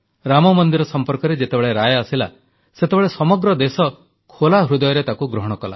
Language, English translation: Odia, When the verdict on Ram Mandir was pronounced, the entire country embraced it with open arms